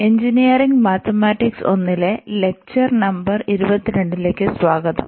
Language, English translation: Malayalam, So, welcome back to the lectures on the Engineering Mathematics 1, and this is lecture number 22